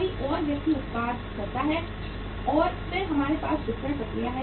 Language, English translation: Hindi, Somebody else manufactures the product and then we have the distribution process